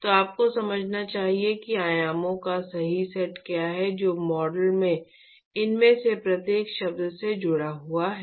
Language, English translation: Hindi, So, you must understand what is the correct set of dimensions which are associated with each of these terms in the model